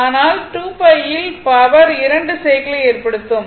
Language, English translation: Tamil, But in 2 pi, power will make 2 cycles